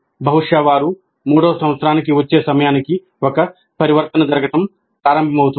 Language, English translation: Telugu, Probably by the time they come to third year, a transition begins to take place